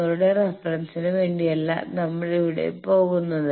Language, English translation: Malayalam, We are not going here just for your reference